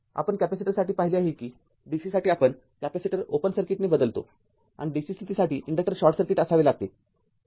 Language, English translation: Marathi, We replace the capacitor with an open circuit for dc just we have seen for capacitor and for dc condition inductor should be short circuit